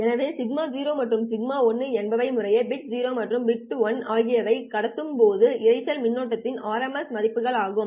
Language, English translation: Tamil, So sigma 0 and sigma 1 are the rMS values of the noise current when you have transmitted bit 0 and bit 1 respectively